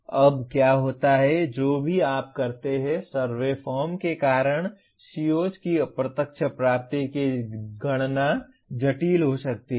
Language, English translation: Hindi, And now what happens, whichever way you do, the computation of indirect attainment of COs because of the survey form can turn out to be complex